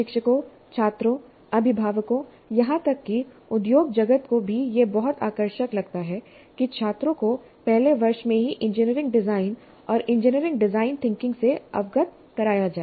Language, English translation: Hindi, The faculty, students, parents, even the industry find it very, very attractive to have the students exposed to engineering design and engineering design thinking right in the first year